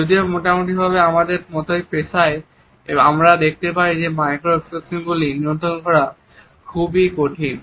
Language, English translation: Bengali, However, on an average in professions like us we find that the control of micro expressions is very difficult